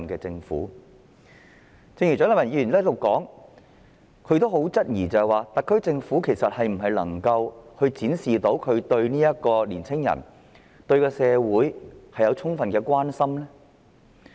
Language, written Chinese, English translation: Cantonese, 蔣麗芸議員剛才在此質疑，特區政府能否展示自己對年輕人和社會有充分的關懷呢？, Just now Dr CHIANG Lai - wan questioned here whether the SAR Government could show that its care for young people and the community was adequate